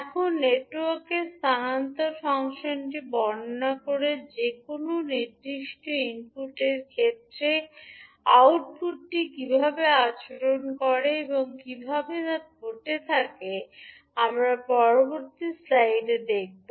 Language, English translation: Bengali, Now, the transfer function of the network describes how the output behaves with respect to a particular input, and how it will have, we will see in the next slide